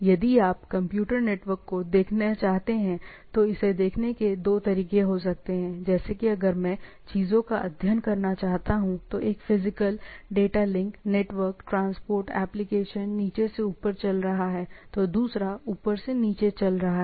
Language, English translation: Hindi, So, what if you want to look at computer network, there can be two way of looking at it like if I want to study things, one is going from physical, data link, transport, application etcetera, other is going on the, from the top to bottom